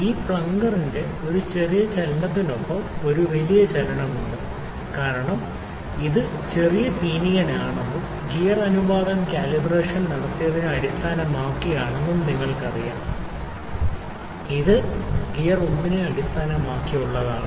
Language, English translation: Malayalam, With a small movement of this plunger, there is a large movement because you know this is the small pinion and the gear ratio is there based on which the calibration is done, which is based on the gear 1 is the small movement of gear 1 is giving a big movement to the gear 2